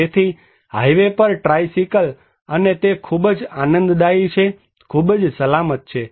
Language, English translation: Gujarati, So, tricycle on highway and that is very enjoyable, very safe